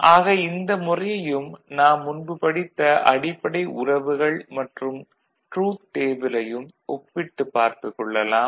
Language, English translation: Tamil, So, this is something which we can compare with what we have done in the past and the basic relationship and the truth table